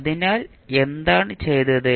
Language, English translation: Malayalam, So, what we have done